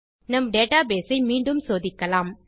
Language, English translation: Tamil, Now, lets check our database again